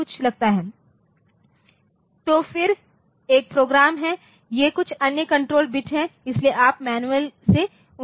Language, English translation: Hindi, So, then there is a program these are some other control bit so, you can the you can find out their meaning from the manual, but they are